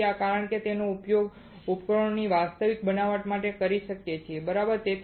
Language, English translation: Gujarati, So, that we can use it in the actual fabrication of the devices alright